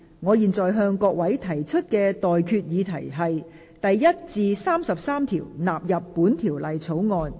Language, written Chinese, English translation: Cantonese, 我現在向各位提出的待決議題是：第1至33條納入本條例草案。, I now put the question to you and that is That clauses 1 to 33 stand part of the Bill